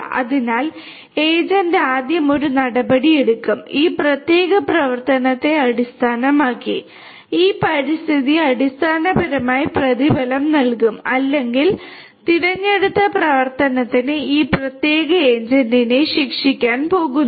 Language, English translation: Malayalam, So, it starts like this that the agent will first take an action, and based on this particular action this environment basically is either going to reward or is going to penalize this particular agent for that chosen action